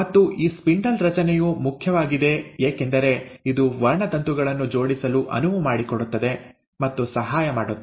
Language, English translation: Kannada, And these spindle formation is important because it will allow and help the chromosomes to attach